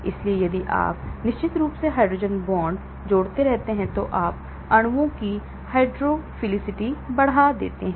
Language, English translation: Hindi, So, if you keep adding hydrogen bonds of course, you are increasing the hydrophilicity of the molecules